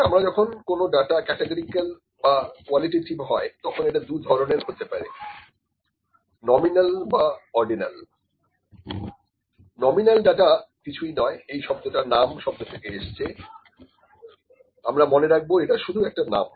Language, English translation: Bengali, So, when the data is categorical or qualitative it can be of two forms if we these are stage is nominal or ordinal, nominal data is nothing, but if the word is name here the word is nominal it comes for the word nom, it can be we can just remember it is just the name, ok